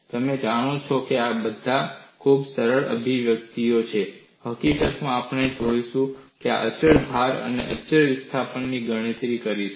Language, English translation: Gujarati, These are all very simple expressions; in fact, we would go and do the calculations for constant load and constant displacement